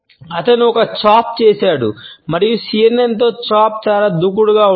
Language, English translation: Telugu, He does a chop and that chop with the CNN is very aggressive